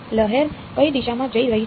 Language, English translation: Gujarati, Wave is going in which direction